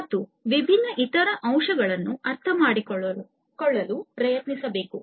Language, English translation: Kannada, And try to understand the different other aspects